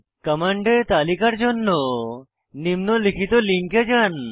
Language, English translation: Bengali, Refer the following link for list of commands